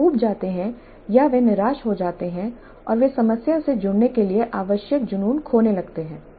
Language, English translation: Hindi, They become bored or they become frustrated and they start losing the passion required to engage with the problem